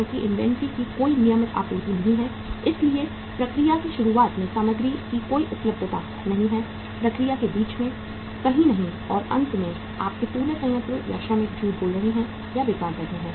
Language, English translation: Hindi, Because there is no regular supply of inventory so there is no availability of material at the beginning of the process, in the middle of the process, nowhere and finally entire your plant and workers are lying or sitting idle